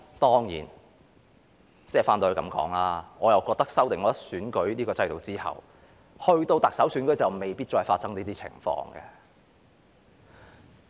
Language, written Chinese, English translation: Cantonese, 當然，話說回來，修訂選舉制度之後，我覺得到了特首選舉就未必會再發生這種情況。, Of course having said that I think after the electoral system has been amended such a situation may not occur again